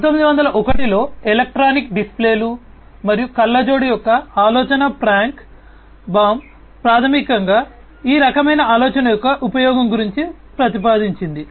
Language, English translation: Telugu, So, in 1901 the idea of electronic displays and spectacles came into being Frank Baum basically proposed this kind of idea use of this kind of thing